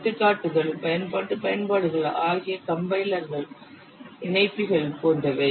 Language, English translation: Tamil, And examples are the utility applications such as compilers, linkers, etc